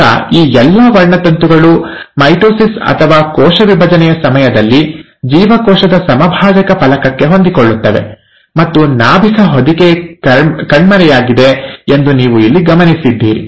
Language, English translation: Kannada, Now all these chromosomes, during mitosis or cell division, will align to the equatorial plate of the cell, and you observe here that the nuclear envelope has disappeared